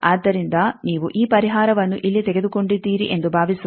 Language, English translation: Kannada, So, suppose you have taken this solution here